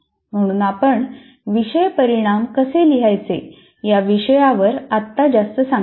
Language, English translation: Marathi, So we are not going to elaborate at this point of time how to write course outcomes